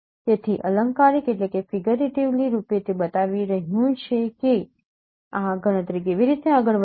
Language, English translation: Gujarati, So figuratively it is showing that now how this computation proceeds